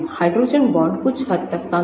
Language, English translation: Hindi, hydrogen bonds are somewhat too short